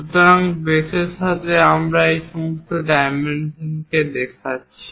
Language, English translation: Bengali, So, with respect to base, we are showing all these dimensions